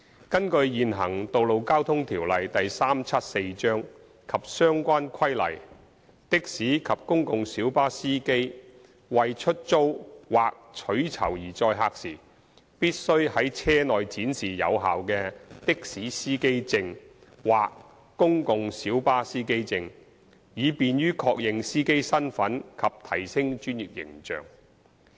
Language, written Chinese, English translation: Cantonese, 根據現行《道路交通條例》及相關規例，的士及公共小巴司機為出租或取酬而載客時，必須在車內展示有效的的士司機證或公共小巴司機證，以便於確認司機身份及提升專業形象。, Under the existing Road Traffic Ordinance Cap . 374 and the relevant regulations a taxi or public light bus PLB driver is required to display a valid taxi or PLB driver identity plate in the vehicle when it is used for the carriage of passengers for hire or reward so as to facilitate easy identification of the driver and enhance the professional image of the driver